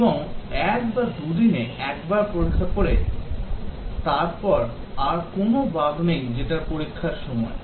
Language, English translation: Bengali, And, once in a day or two of testing no further bugs are reported that is the time to test